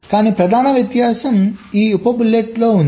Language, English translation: Telugu, but the main difference lies in this sub bullets